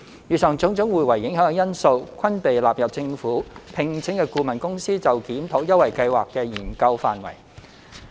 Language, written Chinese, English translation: Cantonese, 以上種種互為影響的因素，均被納入政府聘請的顧問公司就檢討優惠計劃的研究範圍。, All these factors will affect each other and are included in the review of the Scheme by the consultant commissioned by the Government